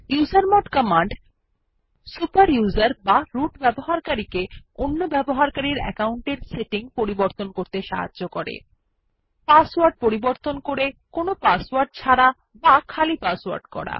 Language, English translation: Bengali, The usermod command Enables a super user or root user to modify the settings of other user accounts such as Change the password to no password or empty password